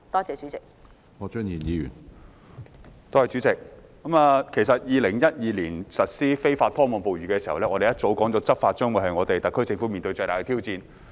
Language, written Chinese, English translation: Cantonese, 在2012年實施禁止非法拖網捕魚活動時，業界已表示這將是特區政府面對的最大執法挑戰。, When the trawl ban was implemented in 2012 the industry stated that this would be the biggest law enforcement challenge for the SAR Government